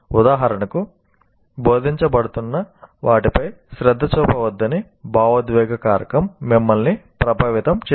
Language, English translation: Telugu, For example, emotional factor can influence you not to pay attention to what is being taught